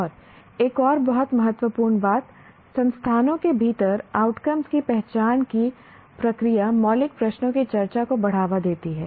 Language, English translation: Hindi, And another very important thing, the process of identification of the outcomes within an institutes promotes discussion of fundamental questions